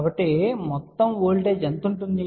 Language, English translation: Telugu, So, we have seen that voltage